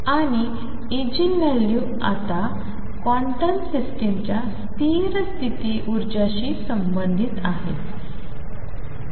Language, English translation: Marathi, And eigenvalues are now related to the stationary state energies of a quantum system